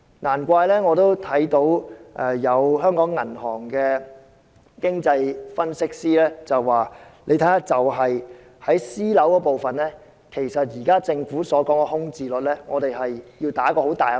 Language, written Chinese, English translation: Cantonese, 難怪我看到有香港銀行的經濟分析師表示，單看私人單位部分，對於政府現時所說的空置率，我們抱有很大的疑問。, This leads me to notice the comment of an economic analyst of a bank in Hong Kong that given the figures of private housing alone the vacancy rate now announced by the Government is highly doubtful